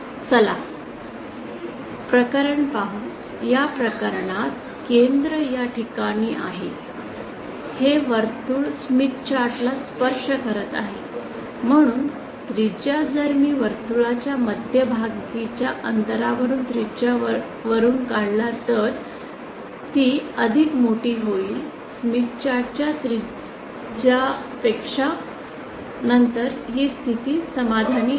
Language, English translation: Marathi, Let us see the case, in this case the center is at this position, this circle does not touch the smith chart, so the radius if I subtract the radius from the distance of the center of this circle from the origin and that will be greater than the radius of smith chart then this condition is satisfied